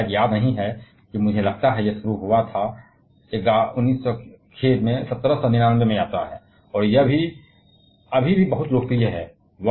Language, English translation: Hindi, I cannot remember probably I think it started it is journey in 19 sorry, 1799 and it is a still a very popular one